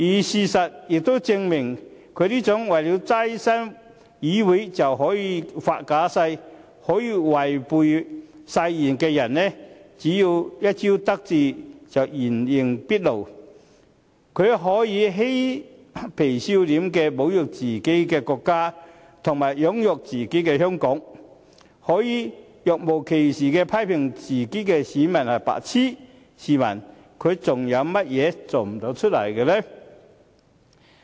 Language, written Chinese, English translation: Cantonese, 事實亦證明，他這種為了躋身議會便可以發假誓、可以違背誓言的人，只要一朝得志就會原形畢露，他可以嬉皮笑臉地侮辱自己的國家和養育自己的香港、可以若無其事地批評自己的選民是"白癡"，試問他還有甚麼事做不出來？, He had insulted his own country and Hong Kong the place where he was raised and brought up in a cheeky and shameless manner . He had even criticized his own electors and called them idiots in a manner as if nothing had happened . What other things will he dare not do?